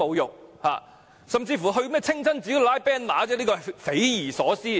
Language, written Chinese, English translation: Cantonese, 有些人甚至到清真寺拉橫額，真是匪夷所思。, Some people even unfurl banners at the mosque . This is simply inconceivable